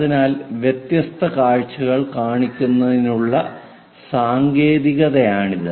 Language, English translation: Malayalam, So, it is a technique of showing different views